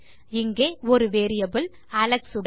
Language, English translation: Tamil, We have got a variable here with Alex